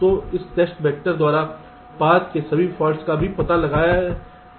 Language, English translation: Hindi, so all this faults along the path will also be detected by this test vector